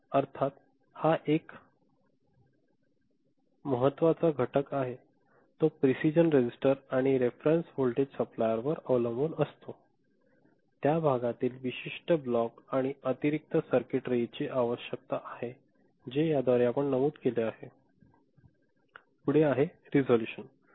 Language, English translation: Marathi, Of course, this is one important element, it depends on the precision registers and the reference voltage supply, which we mentioned that why that part particular block and additional circuitry required ok